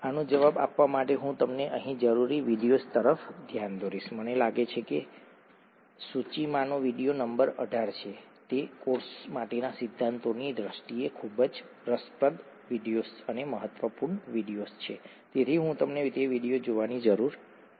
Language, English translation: Gujarati, To answer this, I would point you out to required video here, I think the video in the list is number 18, it’s a very interesting video and important video in terms of the principles for the course, so I would require you to see that video